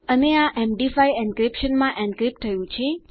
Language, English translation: Gujarati, And this is encrypted to MD5 encryption